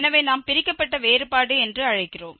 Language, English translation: Tamil, So, this is what we call the divided difference